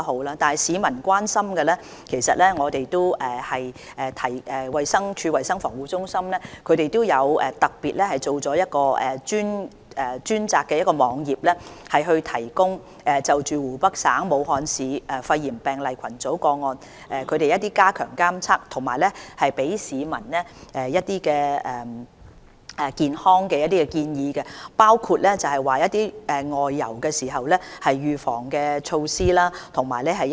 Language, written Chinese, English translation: Cantonese, 至於市民所關心的問題，衞生署的衞生防護中心亦特別製作了一個專題網頁，以加強監察湖北省武漢市肺炎病例群組個案的情況，並為市民提供一些"健康建議"，也包括一些"外遊預防措施"。, As for the concerns of the public CHP of DH has designed a feature web page for this purpose to step up the monitoring of the situation of the cluster of pneumonia cases in Wuhan Hubei Province and to provide some health advice to the public including some travel advice